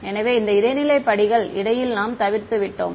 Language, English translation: Tamil, So, those intermediate steps we have skipped in between